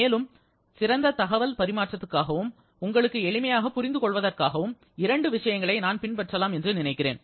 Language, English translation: Tamil, And also in order to have a better communication and for the sake of better understanding for on your side, I think we can follow two things